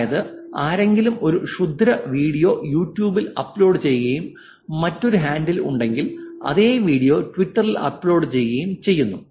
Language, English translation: Malayalam, Somebody uploaded a malicious video on YouTube and there is another handle which uploaded the same video on Twitter